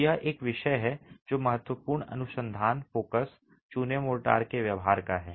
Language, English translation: Hindi, So this is a subject that is of significant research focus, the behavior of lime motors